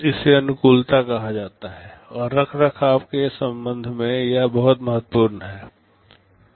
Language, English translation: Hindi, This is called compatibility and it is very important with respect to maintainability